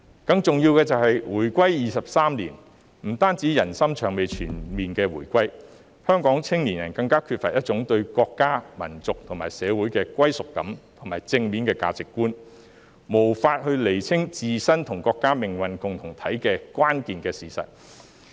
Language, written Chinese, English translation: Cantonese, 更重要的是，回歸23年，不單人心尚未全面回歸，香港青年人更缺乏對國家、民族和社會的歸屬感和正面的價值觀，無法釐清自身與國家是命運共同體的關鍵事實。, More importantly it has been 23 years since the reunification yet peoples hearts have not yet been fully reunited . More so the youth of Hong Kong also lacks a sense of belonging and positive values towards the country the nation and society which renders them unable to clarify the crucial fact that they and the country share a common destiny